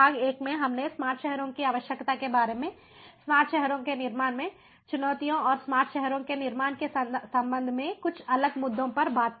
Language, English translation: Hindi, in part one, we spoke about the need for smart cities, the challenges in building smart cities and few of the different issues with respect to building smart cities